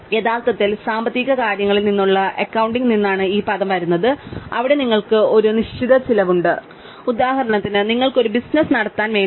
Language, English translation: Malayalam, So, this is the term which actually comes from accounting from financial things, where you have certain cost which for example you might have in order to run a business